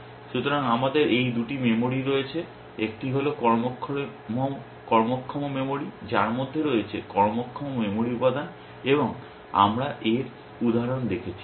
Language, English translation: Bengali, So, we have these two memories, one is the working memory which contains is working memory elements, and we saw examples of that